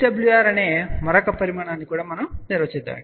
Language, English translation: Telugu, Let us also define another quantity which is VSWR